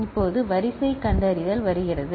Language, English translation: Tamil, Now, comes sequence detection